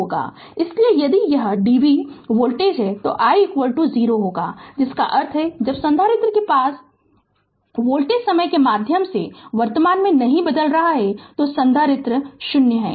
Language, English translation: Hindi, Therefore, if it is dc voltage, so I will be is equal to 0 that means, when the voltage across the capacitor is not changing in time the current through the capacitor is 0 right